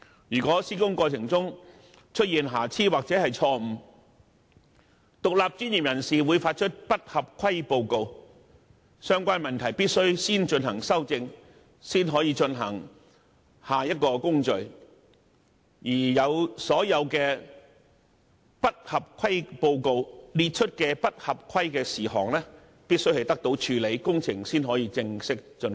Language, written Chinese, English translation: Cantonese, 如果在施工過程中出現瑕疵或錯誤，獨立專業人士會發出不合規報告，要求先行修正有關問題，然後才展開下一個工序，而不合規報告列出的所有不合規事項都必須獲得妥善處理，工程才可以正式竣工。, In case defects or errors are identified during the construction process non - compliance reports will be issued by independent professionals requiring rectification of the irregularities before proceeding to the next step . All irregularities listed in the non - compliance report must be properly dealt with before the project can be formally completed